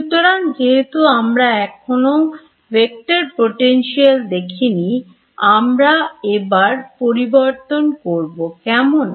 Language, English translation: Bengali, So, since we have not yet looked at these vector potentials we will introduce them ok